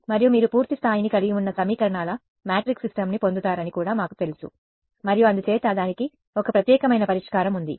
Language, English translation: Telugu, And, we also know that you get a matrix system of equations which has full rank and therefore, it has a unique solution ok